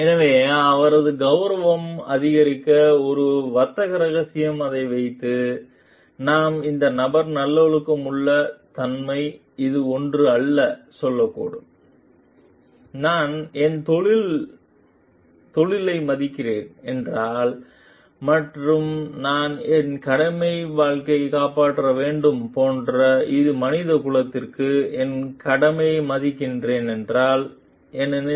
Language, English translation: Tamil, So, and keeping it as a trade secret to enhance her prestige, we may tell like this is not something which is a virtuous nature of the person, because if I respect my profession and if I respect the my duty to the mankind, which is like my duty is to save life